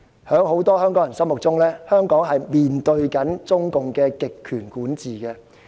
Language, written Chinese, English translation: Cantonese, 在很多香港人心目中，香港正面對中共的極權管治。, Many Hong Kong people believe that Hong Kong is now under the totalitarian rule of the Chinese Communist Party CCP